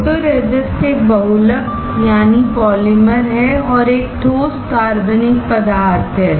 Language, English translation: Hindi, Photoresist is a polymer and is a solid organic material